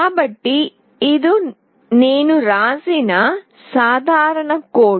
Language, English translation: Telugu, So, this is a simple code that I have written